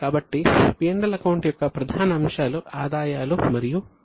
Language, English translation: Telugu, So, the major components of PNL account are incomes and expenses